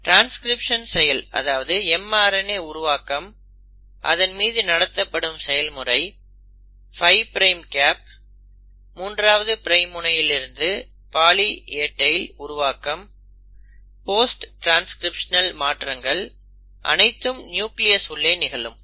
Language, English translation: Tamil, The process of transcription, formation of mRNA processing of mRNA, 5 prime capping, 3 prime poly A tail, post transcriptional modifications, all that is happening in the nucleus